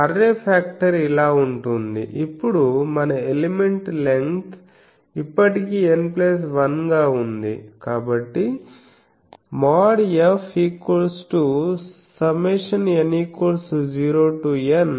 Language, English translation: Telugu, So, array factor will be so, now our element length is still N plus one